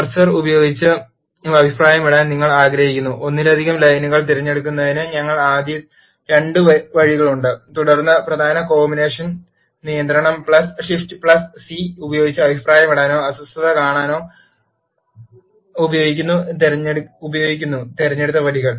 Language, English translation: Malayalam, There are 2 ways first we used to select the multiple lines which you want to comment using the cursor and then use the key combination control plus shift plus C to comment or uncomment the selected lines